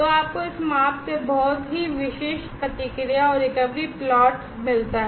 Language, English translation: Hindi, So, you get a very characteristic response and recovery plot out of this measurement